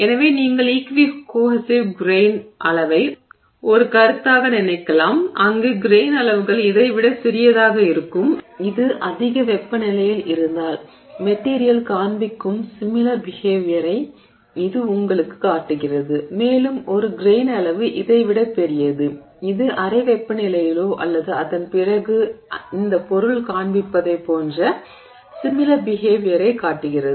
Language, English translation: Tamil, So, you can think of equi cohesive grain size as a concept where at grain size is smaller than this the material shows you behavior similar to what the material would display if it were at high temperature and at grain sizes larger than this, it shows you behavior that is similar to what this material would show at room temperature or thereabouts